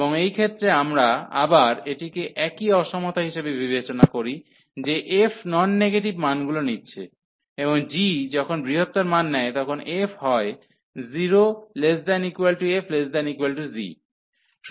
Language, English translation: Bengali, And in this case, again we consider this in same inequality that f is taking non negative values, and g is taking larger values then f